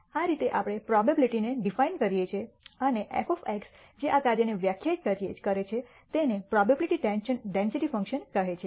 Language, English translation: Gujarati, That is how we de ne the probability and f of x which defines this function is called the probability density function